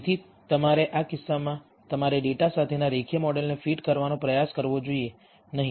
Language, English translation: Gujarati, So, you should in this case you should not attempt to fit a linear model with the data